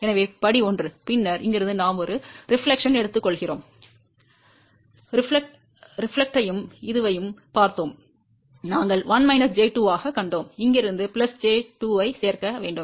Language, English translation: Tamil, So, step 1; then from here we take a reflection, we had seen the reflection and this we had seen as 1 minus j 2, from here we need to add plus j 2